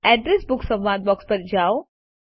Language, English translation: Gujarati, Go to the Address Book dialog box